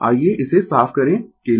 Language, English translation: Hindi, Let me clear it for